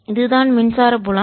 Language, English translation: Tamil, that is the how much the electric field is